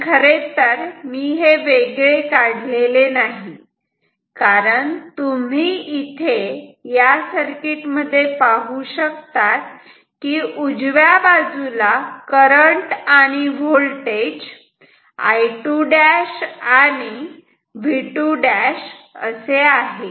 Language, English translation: Marathi, But that is not actually different, that is same as what I am drawing now, because you can check in that circuit, you have this right side has current I 2 prime and V 2 prime ok